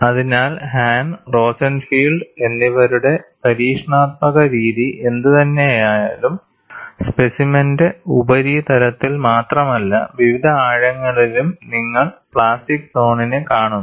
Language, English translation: Malayalam, So, whatever the experimental method of Hahn and Rosenfield, also ensured, not only you see the plastic zone on the surface of the specimen, but also at various depths, you have that kind of an advantage